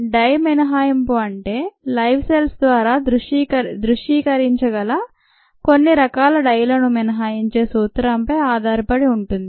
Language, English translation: Telugu, the dye exclusion means ah or is based on the principle, that's certain dyes which can be visualized are excluded by living cells